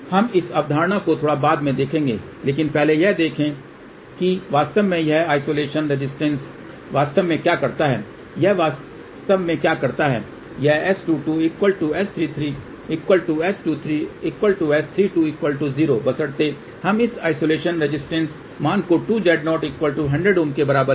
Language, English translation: Hindi, We will look at the concept little later on, but first just see what really this isolation resistance really do, what it actually does it makes S 2 2 equal to S 3 3 equal to S 2 3 equal to S 3 2 equal to 0 provided we take this isolation resistance value equal to 2 times Z 0 which is 100 ohm